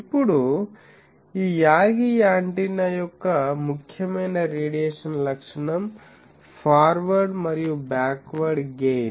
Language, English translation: Telugu, Now, important radiation characteristic of this Yagi antenna is forward and backward gain